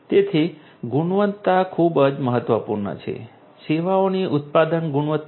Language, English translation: Gujarati, So, quality is very important quality of the product quality of the services